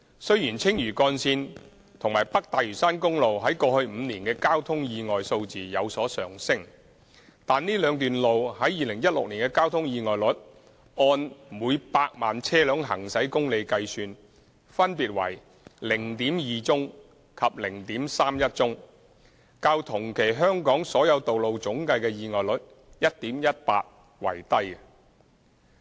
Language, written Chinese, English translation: Cantonese, 雖然青嶼幹線和北大嶼山公路於過去5年的交通意外數字有所上升，但這兩段路於2016年的交通意外率按每百萬車輛行駛公里計算分別為 0.2 宗及 0.31 宗，較同期香港所有道路總計的意外率 1.18 宗為低。, Although traffic accident figures for the Lantau Link and North Lantau Highway have been on the rise over the past five years the traffic accident rates for these two roads in 2016 which were respectively 0.2 and 0.31 cases per million vehicle kilometre were lower than the territorial average of 1.18 cases in the corresponding period